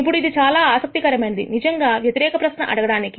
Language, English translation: Telugu, Now it is very interesting to actually ask the inverse question